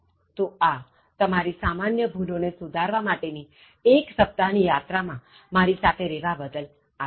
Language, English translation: Gujarati, So, I thank you for being with me for this complete one week journey, in terms of making you help correct your Common Errors